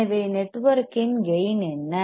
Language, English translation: Tamil, So, what is the gain of the network